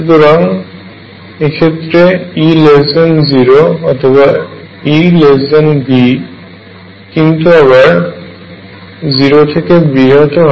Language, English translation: Bengali, So, E is less than 0 or E is less than V, but is also greater than 0